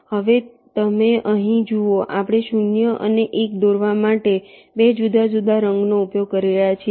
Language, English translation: Gujarati, you see, here we are using two different colors to draw zeros and ones